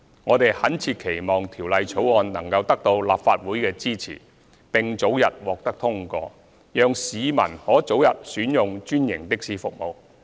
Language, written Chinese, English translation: Cantonese, 我們懇切期望《條例草案》能得到立法會的支持，並早日獲得通過，讓市民可早日選用專營的士服務。, We sincerely hope that the Bill can be supported by the Legislative Council and passed expeditiously so that members of the public can choose to use franchised taxi services earlier